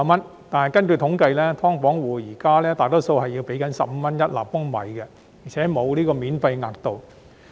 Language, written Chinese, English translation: Cantonese, 然而，根據統計，"劏房戶"現時大多數要繳付15元一立方米，而且沒有免費額度。, However according to statistics most of the tenants in subdivided units at present have to pay water fees at a rate of 15 per cubic metre and cannot enjoy the first tier of free water